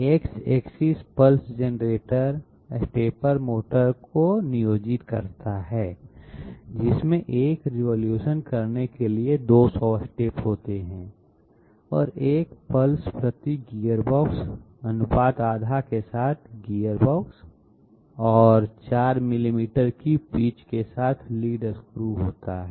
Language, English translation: Hindi, The X axis employs Pulse generator stepper motor which is having 200 steps to carry out one revolution and one step per pulse gearbox with ratio half and lead screw with a pitch of 4 millimeters